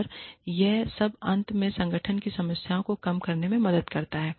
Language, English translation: Hindi, And, all of this helps reduce the problems, the organization has in the end